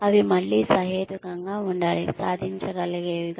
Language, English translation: Telugu, They should be reasonable again, achievable